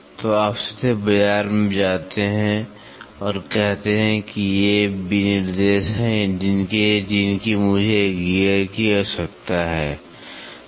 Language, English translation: Hindi, So, you directly go to the market and say this is these are the specifications I need a gear